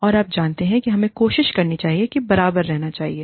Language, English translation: Hindi, And, you know, we should try and stay at par